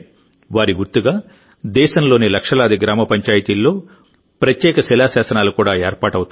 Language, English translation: Telugu, In the memory of these luminaries, special inscriptions will also be installed in lakhs of village panchayats of the country